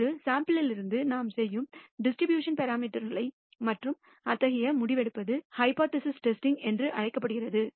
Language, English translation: Tamil, The parameters of the distribution and such decision making that we do from a sample is called hypothesis testing